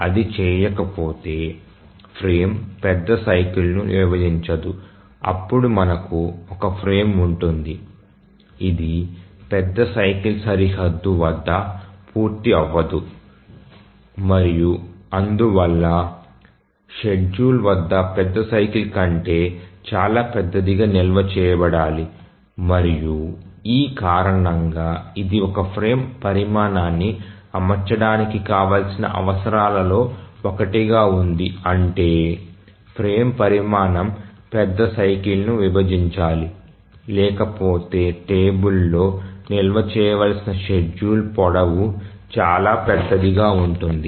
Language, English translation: Telugu, If it doesn't, the frame doesn't divide the major cycle, then we have some frame which does not complete at the major cycle boundary and therefore the schedule has to be stored much larger than the major cycle and that is the reason why one of the requirements for setting of the frame size is that the frame size must divide the major cycle